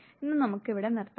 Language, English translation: Malayalam, Today we would stop here